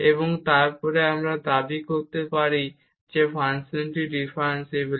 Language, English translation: Bengali, So, in this case we have observed that this function is differentiable